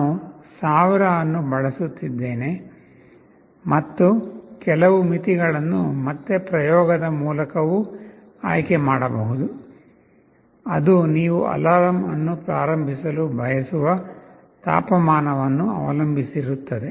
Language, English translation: Kannada, I am using 1000, and some threshold that again can be chosen through experimentation; depends on the temperature where you want to start the alarm